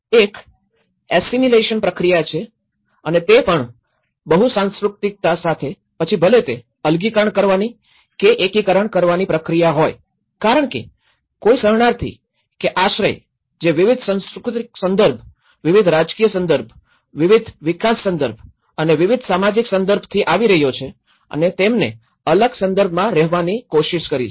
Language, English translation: Gujarati, One is an assimilation process and with the multiculturalism, you know, whether it is a segregation or an integration part of it because a refugee or an asylum who is coming from a different cultural context, different political context, different development context and different social context and he tried to get accommodation in a different context